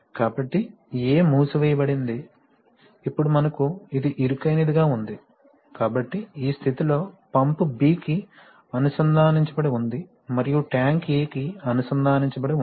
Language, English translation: Telugu, So, therefore A was sealed, now we have this one as a narrow one, so in this position, pump is connected to B and tank is connected to A